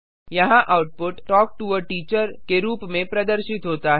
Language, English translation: Hindi, Here the output is displayed as Talk to a teacher